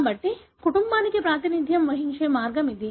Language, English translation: Telugu, So, this is the way to represent the family